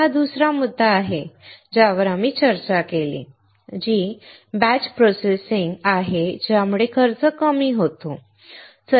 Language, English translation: Marathi, That is the second point that we discussed, which is batch processing resulting in cost reduction